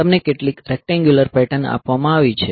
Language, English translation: Gujarati, So, you are given some, say some rectangular patterns